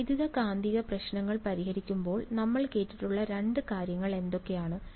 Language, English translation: Malayalam, What is the in solving electromagnetic problems what are the two things we have heard of